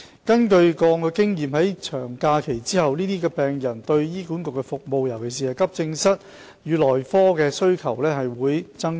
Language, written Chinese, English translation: Cantonese, 根據過往經驗，在長假期後，這些病人對醫管局的服務，尤其是急症室與內科的需求會增加。, Past experience shows that the demand of these patients for HA services particularly at the Accident and Emergency AE and medicine departments will increase after long holidays